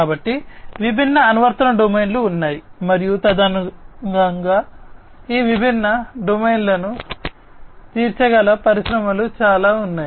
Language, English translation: Telugu, So, there are different application domains and accordingly there are lot of industries who cater to these different domains